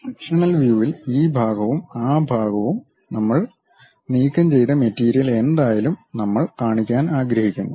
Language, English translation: Malayalam, The sectional view, so whatever the material we have removed this part and that part, we would like to show